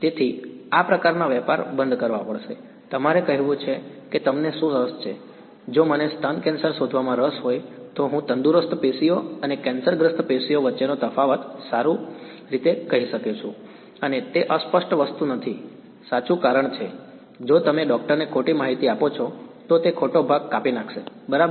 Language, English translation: Gujarati, So, these kinds of tradeoffs have to be made you have to say what you are interested in, if I am interested in breast cancer detection I had better be able to tell the difference between healthy tissue and cancerous tissue and that is not a fuzzy thing right because, if you give the wrong information to the doctor he will cut out the wrong part so, right